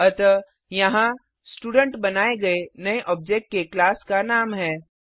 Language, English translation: Hindi, So here Student is the name of the class of the new object created